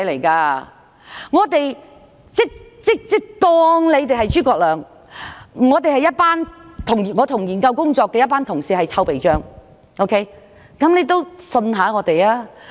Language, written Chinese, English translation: Cantonese, 假如你是諸葛亮，我們這些參與研究工作的人便是臭皮匠，所以請你相信我們。, If you were ZHUGE Liang then those of us who had taken part in the study were the cobblers and so please believe us